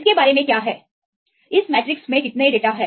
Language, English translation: Hindi, What is about the, how many data in this matrix